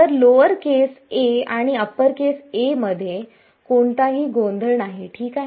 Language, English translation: Marathi, So, that the there is no confusion between lower case a and upper case a ok